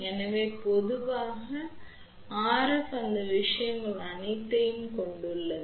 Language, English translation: Tamil, So, RS in general consists of all of those things